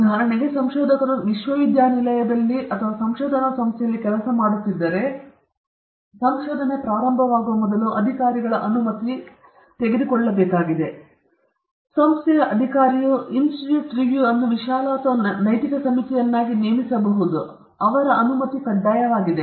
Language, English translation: Kannada, See, for instance, if a researcher is working in a university or a research organization, it is very important that before the research work begins, the permission of the authorities the organization authorities have to be taken; in the sense that the organization authority would have appointed an institute review broad or an ethics committee, their permission is mandatory